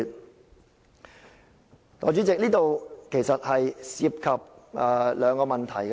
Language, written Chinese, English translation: Cantonese, "代理主席，這涉及兩個問題。, Deputy President this involves two issues